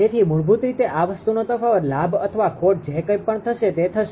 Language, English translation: Gujarati, So, basically difference of this thing will be gain or loss whatsoever